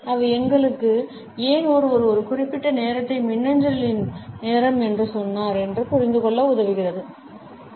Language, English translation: Tamil, They help us to understand, why did someone said that timing of the e mail at that point